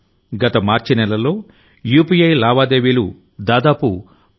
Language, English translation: Telugu, Last March, UPI transactions reached around Rs 10 lakh crores